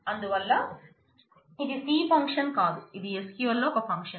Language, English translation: Telugu, So, this is a function which is not a function in C, this is a function in SQL